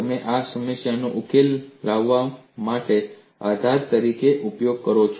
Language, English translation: Gujarati, You use this as a basis to solve this problem